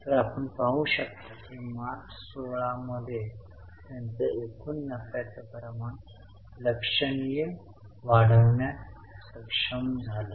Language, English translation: Marathi, So you can see that in March 16, they were, sorry, in March 16 they were able to significantly increase their gross profit margin